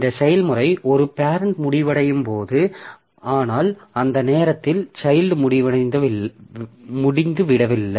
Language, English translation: Tamil, So when this process is parent terminates, but at that time, child is not over